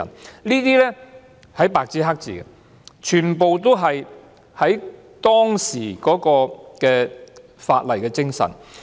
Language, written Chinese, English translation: Cantonese, 這些特權是白紙黑字寫明的，全部都是基於當時的立法精神。, These privileges were written in black and white and all of them were based on the spirit of the law at the time